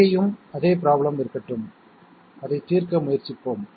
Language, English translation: Tamil, Let us have the same problem here and let us try to solve it